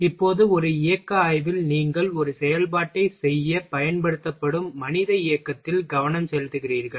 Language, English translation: Tamil, Now in a motion study you are focusing now on the human motion used to perform an operation